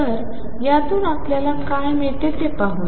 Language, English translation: Marathi, So, let us see what do we get from this